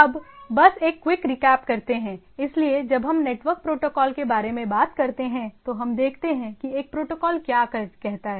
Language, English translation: Hindi, So, just to have a quick recap; so, again if when we talk about network protocols; so what a protocol says